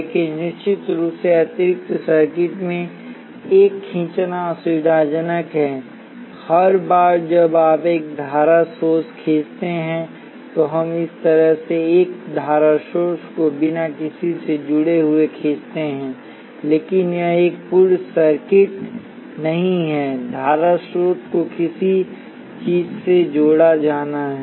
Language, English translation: Hindi, But of course, it is inconvenient to be a drawing in extra circuit each time you draw a current source, we do draw a current source like this without anything connected to it, but that is not a complete circuit something has to be connected to the current source